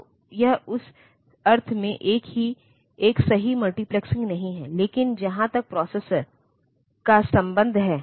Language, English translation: Hindi, So, it is not a true multiplexing in that sense, but as far as the processor is concerned